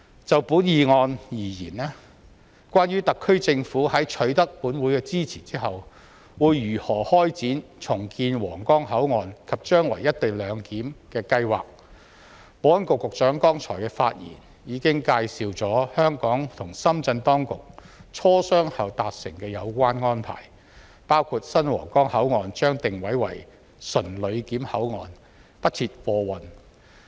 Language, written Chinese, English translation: Cantonese, 就本議案而言，關於特區政府在取得本會支持後，會如何開展重建皇崗口岸及將來"一地兩檢"的計劃，保安局局長剛才的發言已介紹香港和深圳當局磋商後達成的有關安排，包括新皇崗口岸將定位為純旅檢口岸，不設貨運。, Regarding how the HKSAR Government will embark on the redevelopment of the Huanggang Port and implement co - location arrangement after securing this Councils support for the motion the Secretary for Security gave a brief just now on the agreed arrangements after discussion between the Hong Kong and Shenzhen authorities . The arrangements include assigning the new Huanggang Port as a clearance port for passengers only and not for goods vehicles